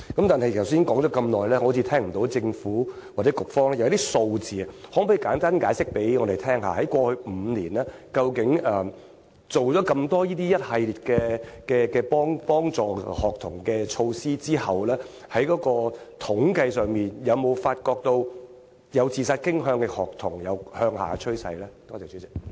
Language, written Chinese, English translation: Cantonese, 但是，局長剛才說了那麼多，好像聽不到政府或局方的數字，可否簡單向我們解釋，在過去5年，究竟在推行了一系列協助學童的措施後，在統計上，有否發現有自殺傾向的學童人數有下調的趨勢呢？, However while the Bureau has said so much it appears that neither the Government nor the Bureau has provided relevant figures . Can you explain to us briefly if the number of students with suicidal tendency was found to show a trend of decline statistically over the past five years after the implementation of a series of supporting measures for students?